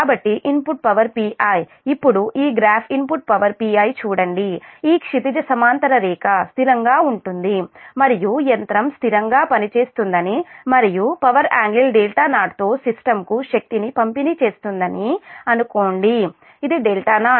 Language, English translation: Telugu, then look at this graph: input power p i, this horizontal line is constant and the machine was operating steadily and delivering power to the system with an power angle delta zero